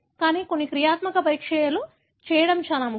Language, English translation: Telugu, But, it is more important to do some functional assays